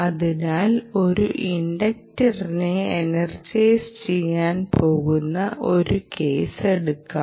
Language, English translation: Malayalam, ok, so let us consider a case where we are going to energize an inductor